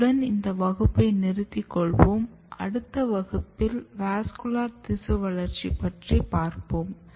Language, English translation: Tamil, So, we will stop here and in next class we will discuss vascular tissue development